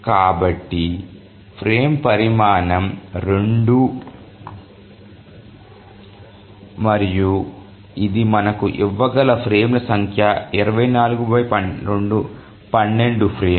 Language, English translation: Telugu, And also the number of frames that it can give us is 24 by 2 is 12